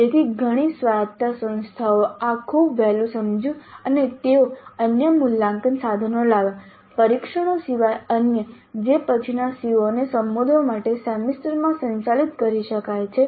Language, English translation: Gujarati, So, several autonomous institutes realize this very early and they brought in other assessment instruments other than tests which could be administered later in the semester to address the later COS